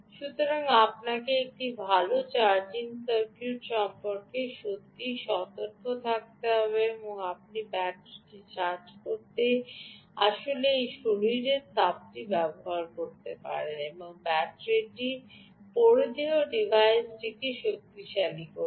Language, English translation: Bengali, so you have to be really careful about ah, have a good charging circuit and you can actually use this body heat to charge the battery and the battery in turn is ah powering the wearable device